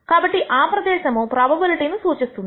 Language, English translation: Telugu, So, the area represents the probability